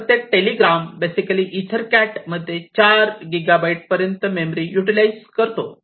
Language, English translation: Marathi, So, every telegram basically utilizes the memory up to 4 gigabytes in size in EtherCat